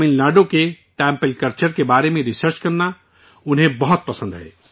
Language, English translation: Urdu, He likes to research on the Temple culture of Tamil Nadu